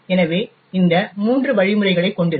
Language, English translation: Tamil, So, it would have these three instructions